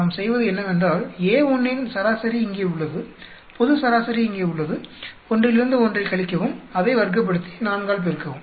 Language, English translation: Tamil, What we do is, average of A1 is here, global average is here subtract one from another; square it up, multiply by 4